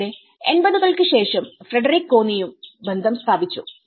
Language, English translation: Malayalam, Later on, in after 80s where Frederick Connie and had brought the relation